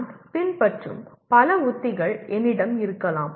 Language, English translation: Tamil, I may have several strategies that I follow